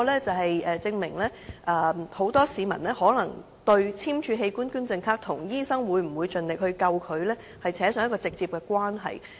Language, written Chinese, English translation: Cantonese, 這證明很多市民對簽署器官捐贈卡，跟醫生會否盡力搶救他，扯上直接關係。, This proves that many people directly associate the signing of organ donation cards with the determination of medical personnel in saving their life